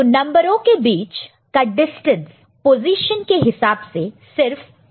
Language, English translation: Hindi, So, the distance between two numbers in terms of the positions in the is only 1, ok